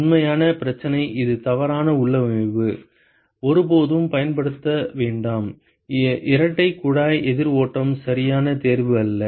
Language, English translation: Tamil, The real problem is this is the wrong configuration, never use; a double pipe counter flow is not the correct choice